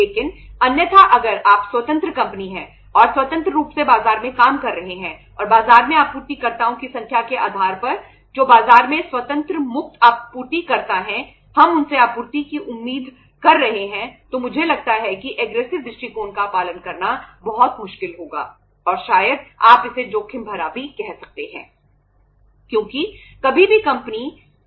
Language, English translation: Hindi, But otherwise if you are independent company and independently operating in the market and depending upon the say number of suppliers in the market who are independent free suppliers in the market we are expecting the supplies from them then I think following the aggressive approach will be very very difficult and maybe you can call it as risky also